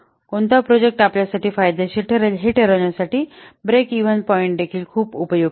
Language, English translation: Marathi, So, a break even point is also very helpful to decide that which project will be beneficial for us